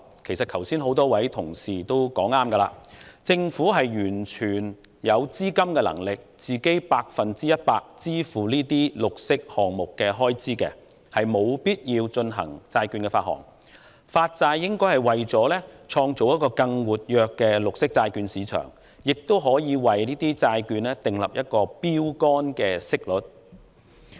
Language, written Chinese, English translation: Cantonese, 其實，剛才不少議員也說得對，政府是完全有能力全數承擔這些綠色項目的資金開支，沒有必要發行債券，因此發債大概是為了創造更活躍的綠色債券市場，並就債券訂立標桿息率。, Actually what many Members said just now was right that the Government is utterly capable of undertaking the entire amount of capital expenditure incurred by the green projects concerned and needs not issue any bonds . Therefore it is possible that the Government does so with a view to creating a more vibrant green bond market and setting benchmark interest rates for such bonds